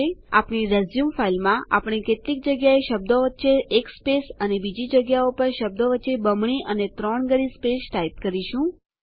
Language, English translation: Gujarati, In our resume file, we shall type some text with single spaces in between words at few places and double and triple spaces between words at other places